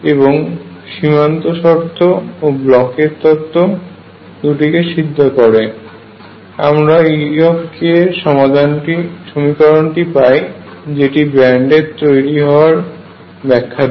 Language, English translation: Bengali, And then three, satisfaction of the boundary condition and Bloch’s theorem led to the equation for e k and that led to bands